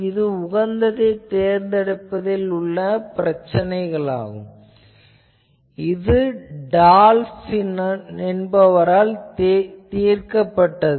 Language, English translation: Tamil, So, that is an optimum problem and that problem was solved by Dolph